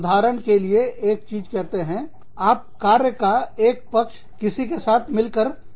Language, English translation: Hindi, For example, for one thing, say, one aspect of your work, is done together, with somebody